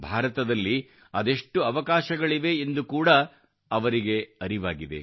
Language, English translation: Kannada, They also realized that there are so many possibilities in India